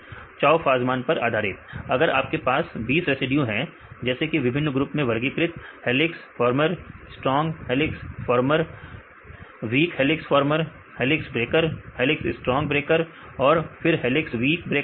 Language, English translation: Hindi, Based on chou fasman Right if you have the 20 residues like classified into different groups, helix former, strong helix former, right, weak helix former, then helix breaker, helix strong breaker and then the helix weak breaker